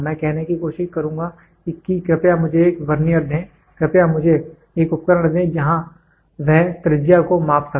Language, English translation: Hindi, I will try to say please give me a Vernier; please give me a device where it can measure the radius